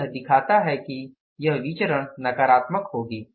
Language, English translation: Hindi, Now it shows this variance will be negative